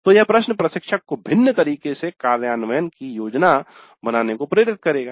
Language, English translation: Hindi, So, this question would allow the instructor to plan implementation in a slightly different fashion